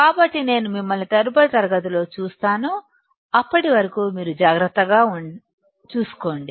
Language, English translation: Telugu, So, I will see you in the next class; till then you take care